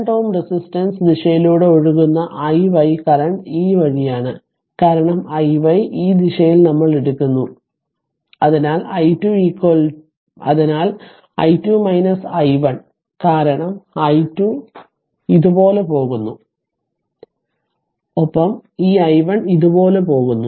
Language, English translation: Malayalam, And i y current flowing through 2 ohm resistance direction is this way, so i y is equal to your in this direction we are taking so is equal to i 2 minus i 1 right, because this i 2 this i 2 is going like this and this i 1 is going like this